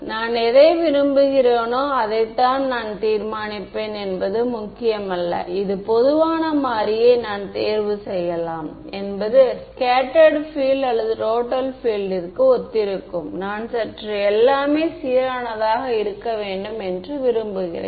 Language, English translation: Tamil, Decide it does not matter I decide which one I want; I can either choose that this common variable be for corresponds to scattered field or total field its my choice I just have to be consistent that is all